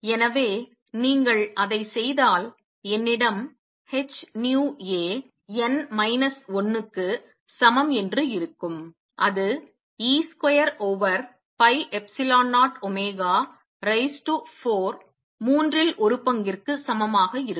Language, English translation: Tamil, So, if you do that I have h nu A n, n minus 1 is equal to 1 third e square over 4 pi epsilon 0 omega raise to 4